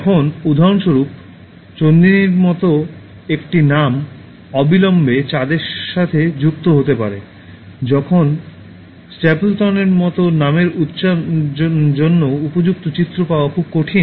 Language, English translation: Bengali, Now examples like, a name like Chandini can be associated with moon immediately, while for a name like Stapleton it is very difficult to get an appropriate image